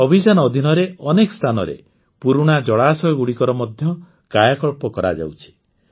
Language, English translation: Odia, Under this campaign, at many places, old water bodies are also being rejuvenated